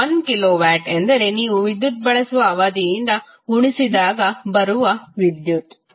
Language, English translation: Kannada, 1 kilowatt means the power multiplied by the the duration for which you consume the electricity